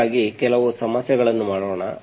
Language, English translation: Kannada, So we will do some examples